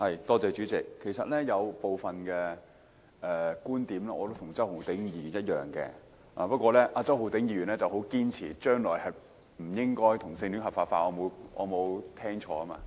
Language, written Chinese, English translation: Cantonese, 代理主席，其實我有部分觀點與周浩鼎議員的觀點相同，但周浩鼎議員很堅持將來不應該把同性婚姻合法化——我應該沒有聽錯吧？, Deputy Chairman some of my viewpoints are actually identical to those of Mr Holden CHOW . But Mr Holden CHOW strongly insists that same - sex marriage should not be legalized in the future . I probably have not been mistaken have I?